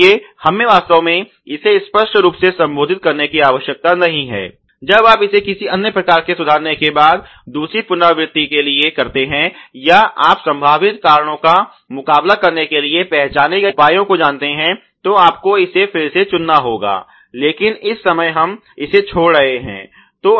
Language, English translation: Hindi, So, we need not really address it obviously, when you do it for the second iteration after doing some kind of corrections or you know identified measures to counteract the potential causes, you will have to again probably pick it up, but at this time we are leaving it